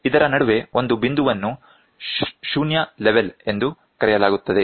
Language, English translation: Kannada, In between there is a there is one point called as 0 level